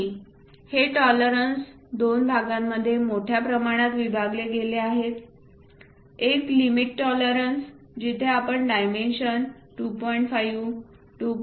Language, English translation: Marathi, And these tolerances are broadly divided into two parts one is limit tolerances, where we show the dimension 2